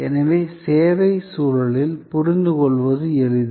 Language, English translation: Tamil, So, it is easy to understand in a service context